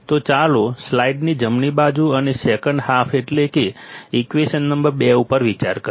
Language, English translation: Gujarati, So, let us consider the right side of the slide and second half that is the equation number 2